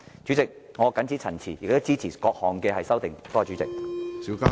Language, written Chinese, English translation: Cantonese, 主席，我謹此陳辭，支持各項修正案。, With these remarks President I support the various amendments